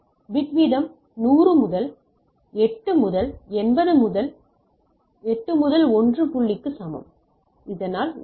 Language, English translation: Tamil, The bit rate is 100 into 8 into 80 into 8 equal to 1 point so that is 1